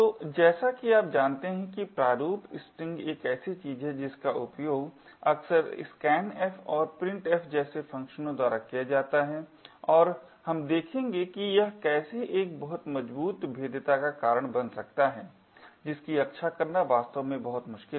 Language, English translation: Hindi, So, as you know the format string is something which is used quite often by functions such as scanf and printf and we will see that how this could lead to a very strong vulnerability that is very difficult to actually protect against